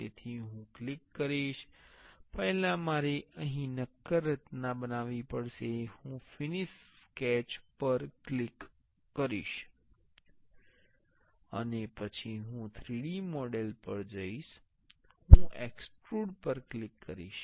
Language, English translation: Gujarati, So, I will click first I have to make a solid structure here, I will click finish sketch, and then I will go to 3D model I will click extrude